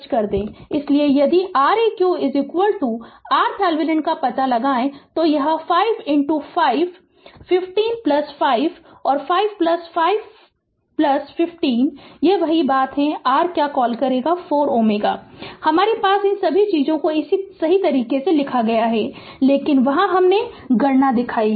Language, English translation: Hindi, So, if you if you find out Req is equal to R thevenin it is 5 into 5 15 plus 5, and 5 plus 5 plus 15 this is same thing your what you call 4 ohm right I have little ah all these things have written like this right, but there I showed the calculation